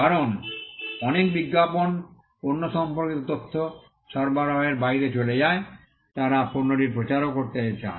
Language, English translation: Bengali, Because many advertisements go beyond supplying information about the product, they also go to promote the product